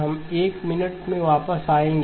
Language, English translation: Hindi, We will come back to in a minute